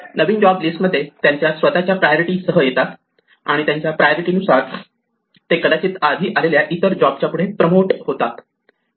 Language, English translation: Marathi, New jobs keep joining the list, each with its own priority and according to their priority they get promoted ahead of other jobs which may have joined earlier